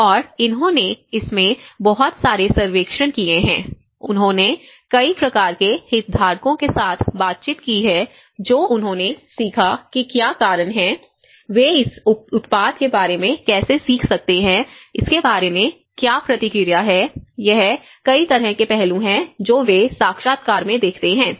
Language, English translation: Hindi, And they have done a lot of survey in that so, they have interacted with a variety of stakeholders they learnt what are the reasons, how they could learn about this product, how what is the feedback about it so; this is a variety of aspects they look at interview